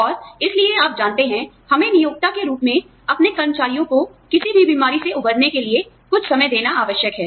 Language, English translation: Hindi, And, so you know, we are required as employers, to give our employees, some time for recovering, from any illnesses